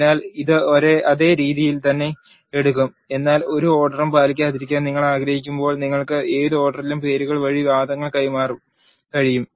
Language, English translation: Malayalam, So, it will take in the same way, but when you want not to follow any order you can pass the arguments by the names in any order